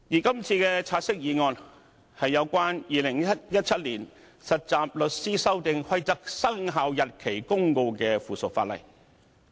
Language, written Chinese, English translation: Cantonese, 今次的"察悉議案"，是關乎《〈2017年實習律師規則〉公告》的附屬法例。, This take - note motion is concerned with the Trainee Solicitors Amendment Rules 2017 Commencement Notice the Notice